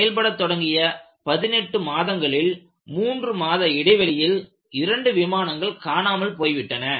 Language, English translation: Tamil, After only 18 months of service,two aircrafts disappeared within three months of each other